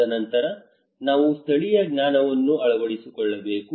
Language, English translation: Kannada, And then we need to incorporate local knowledge